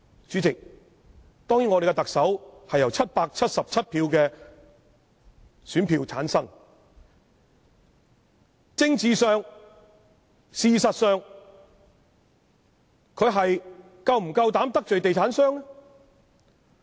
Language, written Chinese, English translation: Cantonese, 主席，當然，我們的特首是由777票的選票產生，在政治上、事實上，她是否夠膽得罪地產商？, Of course Chairman our Chief Executive was returned by 777 votes . Does she dare antagonize the real estate developers politically or in reality?